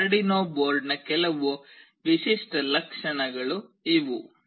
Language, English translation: Kannada, These are some typical features of this Arduino board